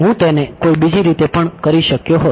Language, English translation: Gujarati, I could have done at the other way also